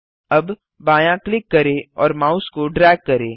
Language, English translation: Hindi, Now left click and drag your mouse